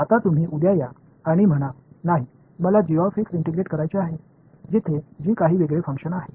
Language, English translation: Marathi, Now you come along tomorrow and say no I want integrate g of x, where g is some different function